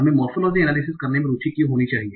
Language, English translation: Hindi, Why should we be interested in doing the morphological analysis